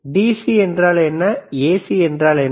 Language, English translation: Tamil, So, what is DC and what is AC